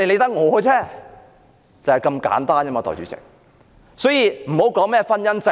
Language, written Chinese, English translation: Cantonese, 因此，大家不要討論婚姻制度。, Therefore Members should stop discussing the marriage institution